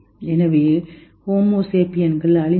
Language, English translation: Tamil, So, will homo sapiens be extinct